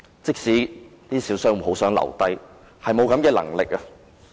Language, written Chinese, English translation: Cantonese, 即使一些小商戶很想留下來，卻無能為力。, Even though some small shop operators really wish to stay they cannot do so